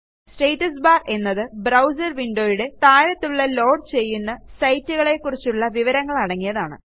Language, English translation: Malayalam, The Status bar is the area at the bottom of your browser window that shows you the status of the site you are loading